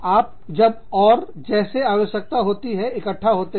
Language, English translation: Hindi, And, you get together, as and when required